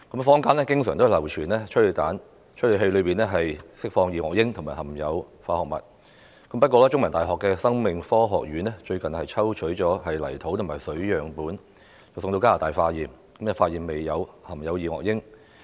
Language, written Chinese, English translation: Cantonese, 坊間經常流傳催淚彈會釋放二噁英和含有化學物，不過，香港中文大學生命科學學院最近曾抽取泥土和水樣本送往加拿大化驗，發現未有含有二噁英。, The hearsay that tear gas canisters release dioxin and contain chemical substance has been circulated widely in the community . Yet the School of Life Science of The Chinese University of Hong Kong has recently sent soil and water samples to Canada for testing and no dioxin has been found in such samples